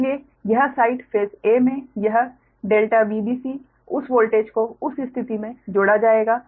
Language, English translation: Hindi, so this side that in the phase a, that delta v b c, that voltage, we will be added right